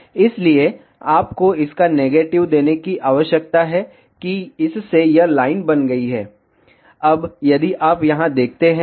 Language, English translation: Hindi, So, you need to give negative of that this has this has created the line, now if you see here ok